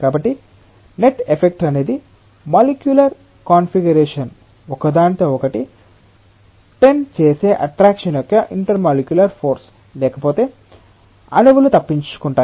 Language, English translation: Telugu, So, net effect is an intermolecular force of attraction that binds the molecular configuration together, otherwise molecules will just escape